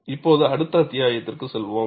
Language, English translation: Tamil, Now, we move on to the next chapter